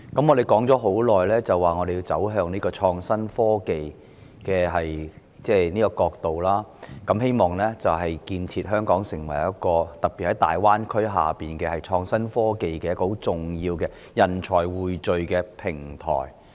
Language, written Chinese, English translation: Cantonese, 我們倡議走向創新科技已久，希望建設香港成為一個——特別是在大灣區的發展下——匯聚創新科技人才的重要平台。, We have long been advocating the advancement towards innovation and technology IT and hoping to develop Hong Kong into an important platform that pools IT talent especially in the context of the development of the Greater Bay Area